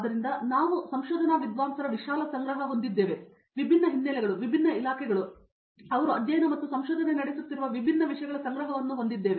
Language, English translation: Kannada, So, we have a broad collection of research scholars, different backgrounds, different departments, different disciplines that they are studying and pursuing research in